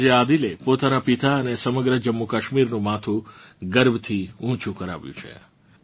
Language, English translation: Gujarati, Today Adil has brought pride to his father and the entire JammuKashmir